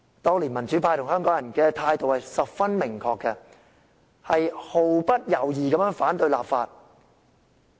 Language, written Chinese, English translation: Cantonese, 當年，民主派與香港人的態度十分明確，毫不猶豫地反對立法。, Back than the pro - democracy camp and Hong Kong people held their definite attitude and defied the legislation with no hesitation